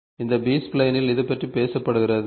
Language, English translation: Tamil, So, this is what is talked about in this B spline